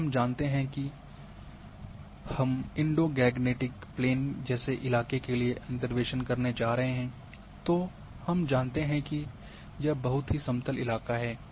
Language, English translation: Hindi, If we know that I am going to interpolate for a terrain like Indo Gangtic plane we know it is a very smooth terrain